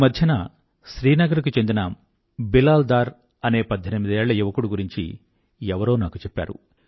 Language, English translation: Telugu, Just a few days ago some one drew my attention towards Bilal Dar, a young man of 18 years from Srinagar